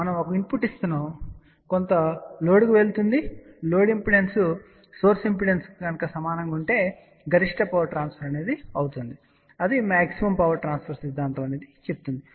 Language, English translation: Telugu, Let us say if we are giving a input and that one is going to some load , the maximum power transfers theorem says that the maximum power will get transfer if the load impedance is equal to source impeder